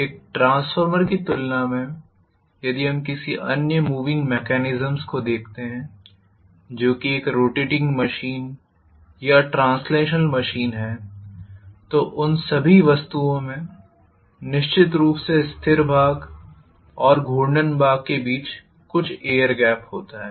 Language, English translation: Hindi, So compared to a transformer if we look at any other moving mechanism which is a rotating machine or translational machine, all those things are going to definitely have some amount of air gap between the stationary part and the rotating part